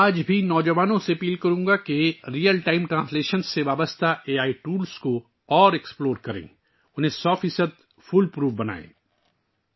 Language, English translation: Urdu, I would urge today's young generation to further explore AI tools related to Real Time Translation and make them 100% fool proof